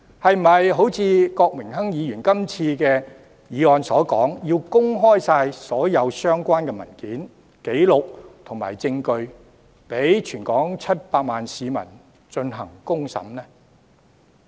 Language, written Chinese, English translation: Cantonese, 是否要如郭榮鏗議員這次提出的議案所說，要公開所有相關文件、紀錄和證據，讓全港700萬市民公審呢？, Should all relevant papers records or evidence be made public as proposed in the current motion raised by Mr Dennis KWOK for a trial by all the 7 million people across the territory?